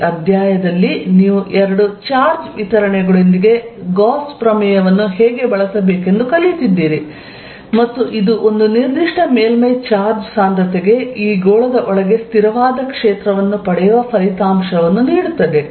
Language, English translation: Kannada, That is a very important result, you also learnt in this how to use Gauss theorem with two charge distributions and it gives you a result that for a particular surface charge density you get a constant field inside this is sphere